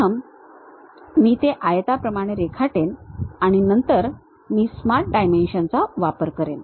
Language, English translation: Marathi, First I will draw it like a rectangle, then I will use Smart Dimensions